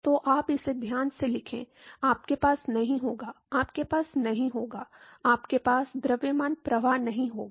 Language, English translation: Hindi, So, you write it carefully, you will not, you will not have, you will not have a mass flux